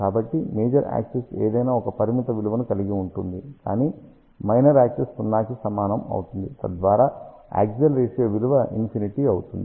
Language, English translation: Telugu, So, major axis can have any finite value, but minor axis is equal to 0, so that will give us axial ratio equal to infinity